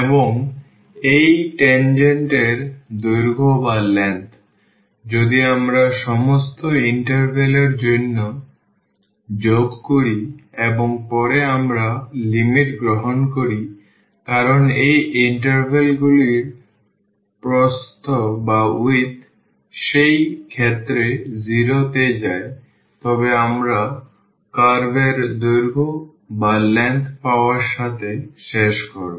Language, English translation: Bengali, And this tangent the length of this tangent, if we add for all the intervals and later on we take the limit as the width of these intervals go to 0 in that case we will end up with getting the curve length